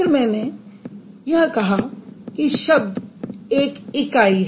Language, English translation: Hindi, Then I said unit of a word